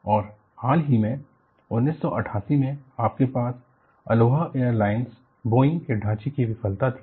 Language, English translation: Hindi, And very recently, in 1988, you had Aloha Airlines Boeing fuselage failure